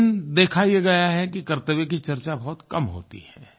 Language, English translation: Hindi, But it is seen that duties are hardly discussed